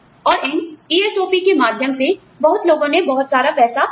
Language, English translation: Hindi, And, many people, have lost a lot of money, through these ESOP